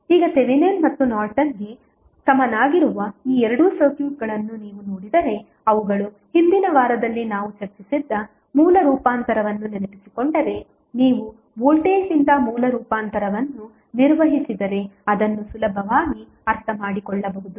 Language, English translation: Kannada, Now, if you see this these two circuits that is Thevenin and Norton's equivalent they looks very similar in the fashion that if you recollect the source transformation what we discussed in previous week so you can easily understand that if you carry out the source transformation from voltage source to current source what will happen